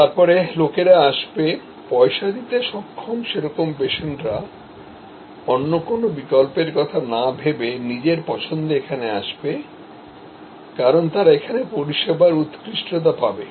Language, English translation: Bengali, Then, people would come, paying patients would come in preference to many other options they might have had, because of the service excellence